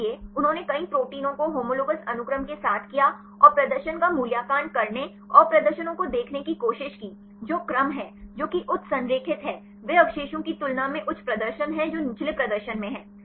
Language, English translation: Hindi, So, they did for several proteins with the homologous sequences and tried to evaluate the performance and see the performance which are the sequences, which are highly aligned they have high performance than the residues which are in the lower performance